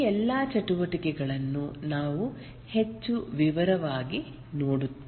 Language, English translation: Kannada, As we proceed, we will look at all these activities in more detail